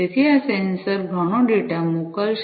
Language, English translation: Gujarati, So, this these sensors will be sending lot of data